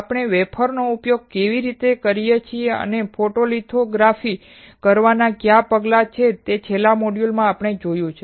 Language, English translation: Gujarati, In the last module we have seen how we can use a wafer; and what are the steps to perform photolithography